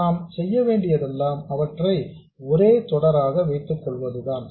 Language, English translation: Tamil, All we have to do is put them in series